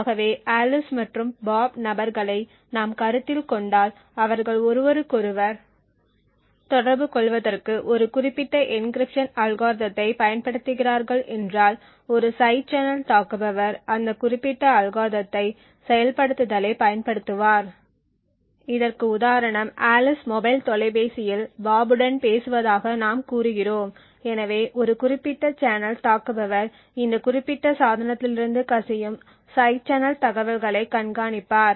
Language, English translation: Tamil, So for example if we consider to people Alice and Bob and they are using a specific encryption algorithm to communicate with each other what a side channel attacker would use is the implementation of that particular algorithm this is due to the fact that this is for example let us say that Alice is using a mobile phone like this to speak to bob so a side channel attacker would keep track of the side channel information that is leaking from this particular device